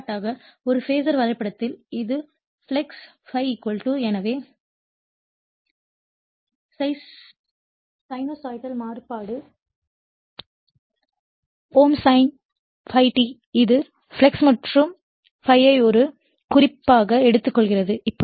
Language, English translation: Tamil, For example, in a Phasor diagram, this is the flux right, we will assume that ∅ = so, sinusoidal variation ∅ M sin omega t right, this is your ∅ M sin omega t, this is the flux and we are taking the your ∅ as a reference